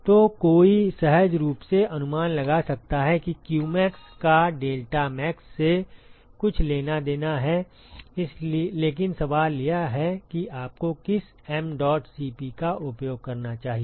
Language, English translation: Hindi, So, one could intuitively guess that qmax has to be something to do with deltaTmax, but the question is what mdot Cp that you should use